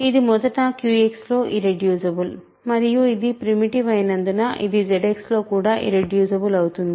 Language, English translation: Telugu, It is because it is irreducible in Q X first and how because it is primitive it is also irreducible in Z X, right